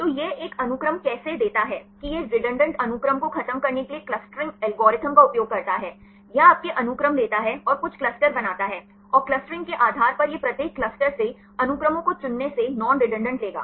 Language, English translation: Hindi, So, how it gives a sequence, that it uses a clustering algorithm, to eliminate the redundant sequences; it takes your sequences, and makes some clusters, and based on the clustering it will take the non redundant from picking of the sequences from each clusters